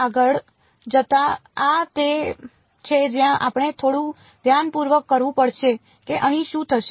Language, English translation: Gujarati, Going in further this is where we have to do it a little bit carefully what will happen over here